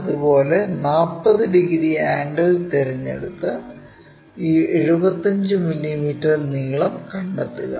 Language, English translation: Malayalam, Similarly, pick 40 degree angle and locate this 75 mm length